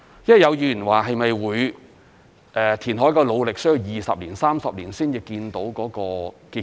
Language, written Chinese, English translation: Cantonese, 有議員說，填海的努力是否需要20年、30年才看到結果？, A Member has asked if it would take 20 to 30 years for reclamation work to show results